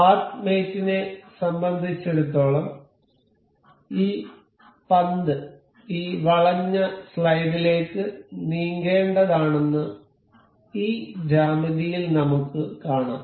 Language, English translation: Malayalam, For path mate, we we will see in this geometry that this ball is supposed to move into this curved slide